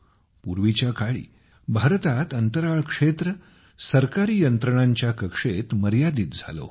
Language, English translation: Marathi, Earlier in India, the space sector was confined within the purview of government systems